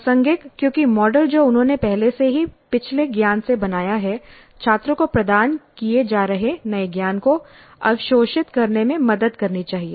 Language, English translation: Hindi, Relevant because the model that they already have built up from the previous knowledge must help the students in absorbing the new knowledge that is being imparted